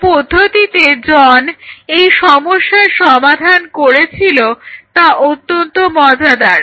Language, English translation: Bengali, So, the way John approached the problem was very interesting